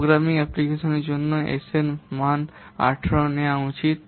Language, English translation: Bengali, The value of S should be taken as 18 for programming applications